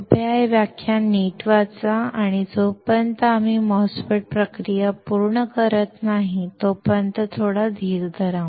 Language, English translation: Marathi, Please read this lecture thoroughly and until we finish the MOSFET process flow, have some patience